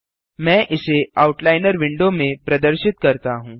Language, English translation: Hindi, First we will divide the Outliner window horizontally